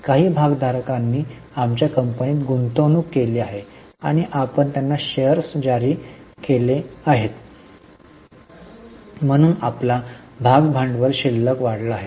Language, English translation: Marathi, Some of the shareholders have made investment in our company and we have issued them shares